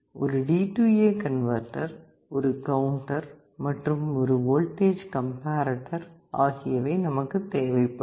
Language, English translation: Tamil, You need a D/A converter, you need a counter, and you need a voltage comparator